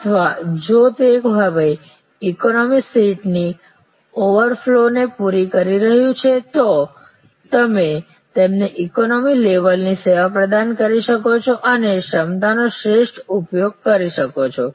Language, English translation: Gujarati, Or if it is now catering to the overflow from the economy seat, you can provide them the economy level of service and manage to optimally utilize the capacity